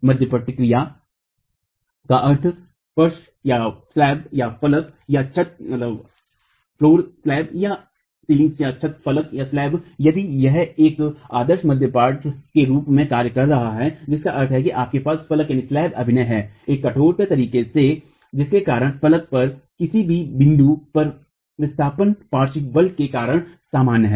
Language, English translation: Hindi, Diiform action meaning the floor slab or the roof slab if it is acting as an ideal diaphragm implying that you have the slab acting in a rigid manner because of which the displacements at any point on the slab are equal due to the lateral force